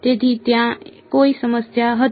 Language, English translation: Gujarati, So, there was no problem